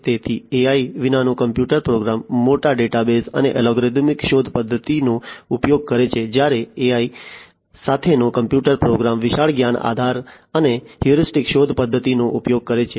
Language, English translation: Gujarati, So, a computer program without AI uses large databases and uses algorithmic search method whereas, a computer program with AI uses large knowledge base and heuristic search method